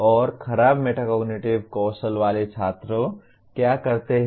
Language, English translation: Hindi, And what do the students with poor metacognitive skills do